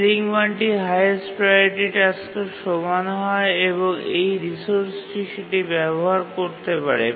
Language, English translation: Bengali, The ceiling value is equal to the highest priority task that may ever use that resource